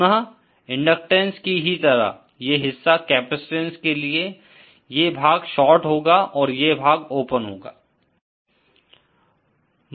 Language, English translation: Hindi, Again just like for inductance, this portion for the capacitance, this part is the short and this part is the open